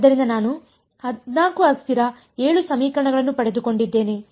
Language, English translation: Kannada, So, I got 14 variables 7 equations